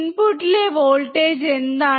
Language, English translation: Malayalam, What is the voltage at the input